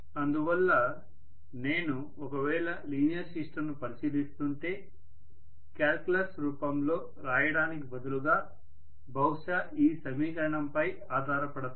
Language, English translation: Telugu, So if I am considering a linear system I should probably be holding onto this expression